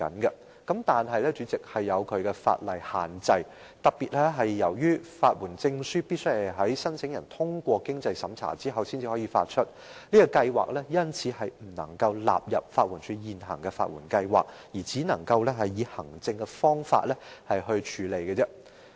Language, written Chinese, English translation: Cantonese, 不過，主席，當中也有一些法律限制，由於法律援助證書必須在申請人通過經濟審查後才可發出，試驗計劃因而不能納入法援署現行的法援計劃，只可以行政方法處理。, However President the scheme is subject to some limitations in law . Since a Legal Aid Certificate will be issued only after the applicant has passed the means test the pilot scheme cannot be included in the existing legal aid schemes offered by LAD but can only be implemented through administrative means